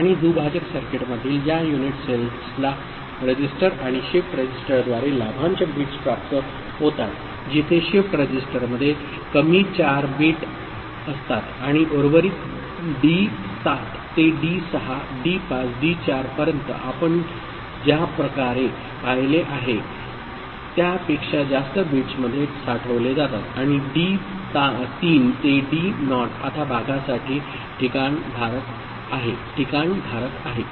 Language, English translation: Marathi, And these unit cells in the divider circuit receive the dividend bits through a register and shift register where shift register introduces the lower 4 bits and the remainders are stored in the higher bits that is D7 to D6 D5 D4 the way you have seen and D3 to D naught now is the placeholder for the quotient ok